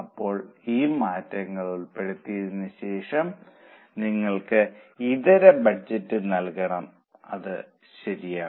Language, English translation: Malayalam, Now after incorporating these changes, you have to give alternate budget